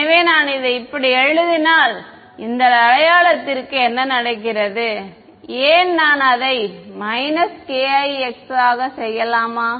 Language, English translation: Tamil, So, if I write it like this, what happens to this sign over here minus k i x why would I do that